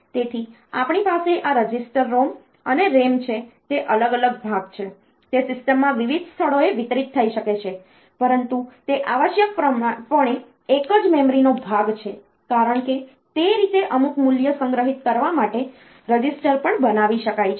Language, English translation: Gujarati, So, we have got these registers ROM and RAM, they are different part, they may be distributed in the system in various places, but they are essentially part of the same memory, because the registers can also be made to store some value that way